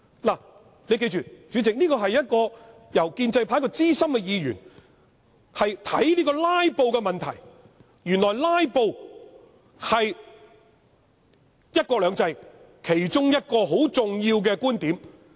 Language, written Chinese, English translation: Cantonese, 代理主席，議員要記得，這是建制派一位資深議員看待"拉布"問題的方式，原來"拉布"是"一國兩制"其中一個重點。, Deputy President Members must remember that this is how filibuster is seen by a seasoned Member from the pro - establishment camp . So it is now revealed that filibuster is one of the main features of one country two systems